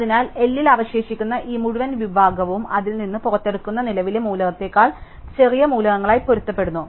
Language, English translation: Malayalam, So, therefore, this entire segment which is left in L, corresponds to elements which are smaller than the current element am pulling out from R